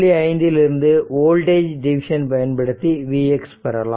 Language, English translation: Tamil, 5 we use the voltage division to get v x right